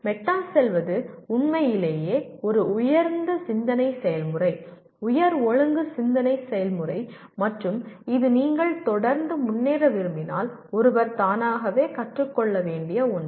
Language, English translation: Tamil, So going meta is truly speaking a higher thinking process, higher order thinking process and this is something that one has to learn by himself or herself if you want to keep improving